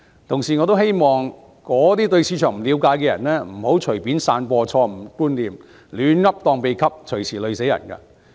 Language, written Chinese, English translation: Cantonese, 同時，我也希望對市場不了解的人不要隨便散播錯誤觀念、胡言亂語，隨時連累他人。, Meanwhile I wish that people who do not understand the market should not spread wrong concepts and make nonsensical speeches that may make others victims any time